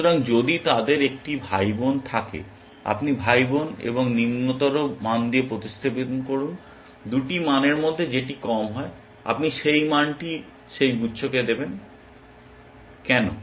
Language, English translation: Bengali, So, in case they have a sibling, you replace with sibling and lower value, whichever is the lower of the 2 values is you give that value to that cluster, why